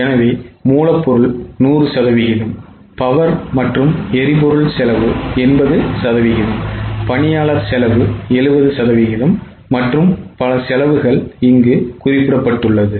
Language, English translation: Tamil, So, raw material is 100%, power 80%, employee 70%, and so on